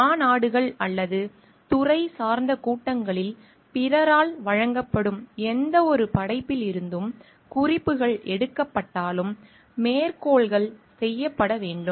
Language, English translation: Tamil, Citations should also be made in case references are drawn from any work presented by others at conferences or disciplinary meetings